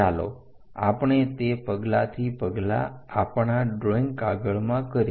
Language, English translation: Gujarati, Let us do that step by step on our drawing sheet